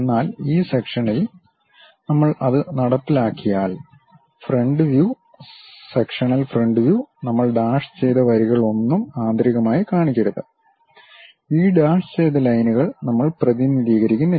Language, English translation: Malayalam, But on this section once we implement that; the front view, sectional front view we should not show any dashed lines internally, these dashed lines we do not represent